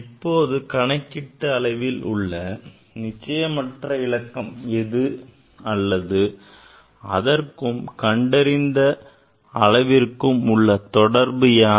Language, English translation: Tamil, Now, what is the uncertainty in the calculated quantity which is or which has well relation with the measured quantity